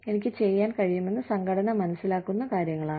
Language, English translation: Malayalam, It is what, the organization perceives, I can do